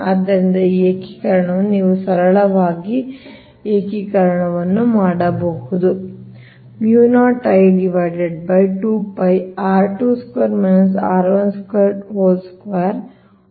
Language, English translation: Kannada, so this integration, you can do it a simply integration, right